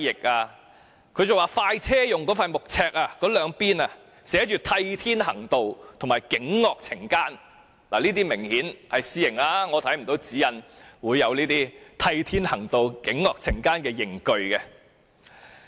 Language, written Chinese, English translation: Cantonese, 他們更說"快車"用的那塊木尺的兩邊寫着"替天行道"和"儆惡懲奸"，這些很明顯是私刑，指引沒有列出這種"替天行道"或"儆惡懲奸"的刑具。, They even said that the punishment of express vehicles was carried out with a wooden board with texts to enforce justice on behalf of Heaven and to punish the villains and criminals on both sides . These were obviously cases of illegal punishment . The guidelines have not touched upon the tools for inflicting such punishment